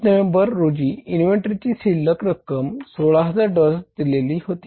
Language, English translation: Marathi, You are given November 30 inventory balance was 16,000 birth of dollars